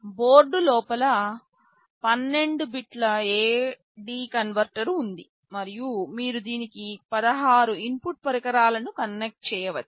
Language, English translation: Telugu, Inside the board there is a 12 bit A/D converter and you can connect up to 16 input devices to it